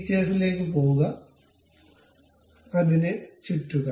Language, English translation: Malayalam, Go to features, revolve around that